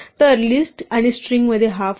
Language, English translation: Marathi, So, this is a difference between list and strings